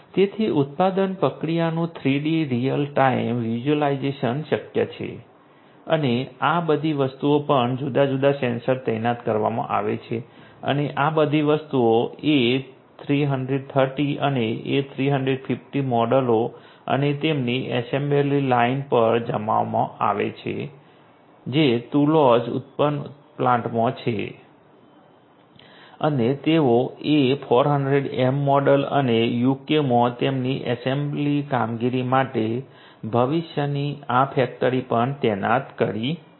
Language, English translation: Gujarati, So, 3D real time visualization of the production process is possible and all of these things are also deployed different sensors and all of these things are deployed on the A330 and A350 models and their assembly lines which are there in the Toulouse manufacturing plant in plants and they have also deployed you know this factory of the future for the A400M model and their assembly operations in the UK